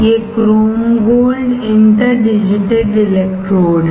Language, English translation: Hindi, These are chrome gold interdigitated electrodes